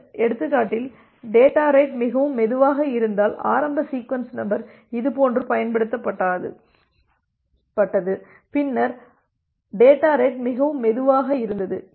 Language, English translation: Tamil, If the data rate is too slow like in this example say the initial sequence number was used like this then the data rate was too slow